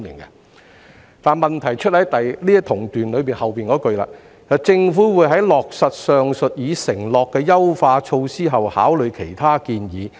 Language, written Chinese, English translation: Cantonese, 不過，問題是局長在同段的後幾句指出"政府會在落實上述已承諾的優化措施後考慮其他建議"。, However the problem lies in the last few sentences of the same paragraph which point out that upon implementation of the above enhancement measures as already committed the Government will consider other recommendations